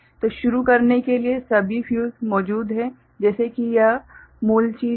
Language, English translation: Hindi, So, to begin with you have all the fuses present like this is the original thing